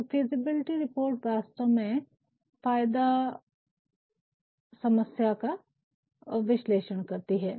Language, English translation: Hindi, So, a feasibility report actually analyses the benefits and the problems